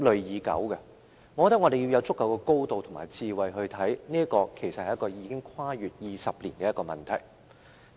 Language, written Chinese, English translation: Cantonese, 我覺得我們要從足夠的高度、以足夠的智慧來看，其實這是一個已經跨越20年的問題。, I think we need to look at the issue from a fairly high altitude with sufficient wisdom . As a matter of fact this problem has already spanned two decades